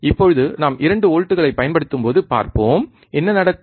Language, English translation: Tamil, Now, let us see when we applied 2 volts, what happens